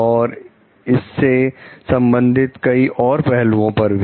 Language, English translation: Hindi, And many other aspects related to it